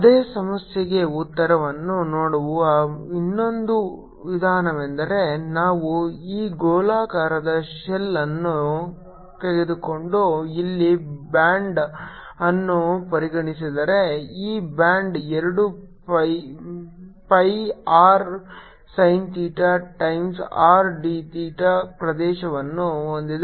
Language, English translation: Kannada, another way of looking at the answer for same problem would be if i take this spherical shell and consider a band here, this band has a, an area which is two pi r sin theta times r d theta is the total area of the band